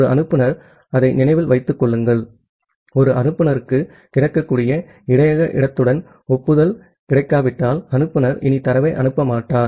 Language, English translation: Tamil, And a sender to remember that, a sender unless it gets an acknowledgement with the available buffer space, the sender will not send anymore of data